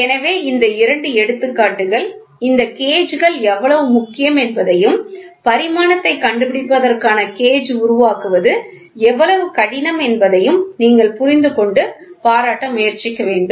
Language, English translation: Tamil, So, these two are examples which you should try understand and appreciate how important is this indicator gauges, how difficult is to make a gauge for finding out the dimension